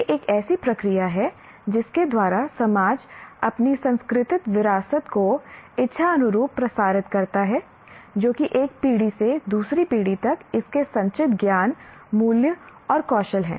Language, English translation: Hindi, It is a process by which society deliberately transmits its cultural heritage, that is its accumulated knowledge, values, and skills from one generation to the other